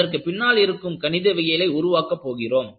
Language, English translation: Tamil, We will develop the Mathematics behind it